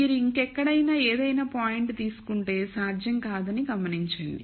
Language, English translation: Telugu, Notice that if you take any point anywhere else you will not be feasible